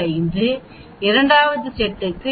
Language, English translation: Tamil, 45 for one set 89